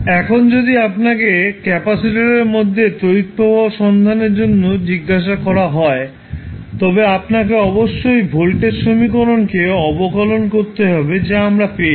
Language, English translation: Bengali, Now, if you are asked to find out the current through the capacitor you have to just simply differentiate the voltage equation which we have got